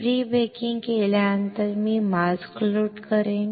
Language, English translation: Marathi, After pre baking I will load the mask